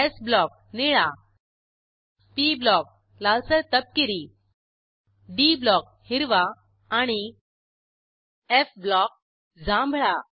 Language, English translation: Marathi, * s block – blue * p block – reddish brown * d block – green and * f block – Purple